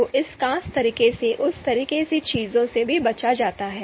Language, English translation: Hindi, So that kind of thing is also avoided in this particular method